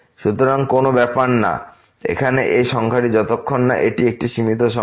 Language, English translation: Bengali, So, will does not matter what is this number here as long as this is a finite number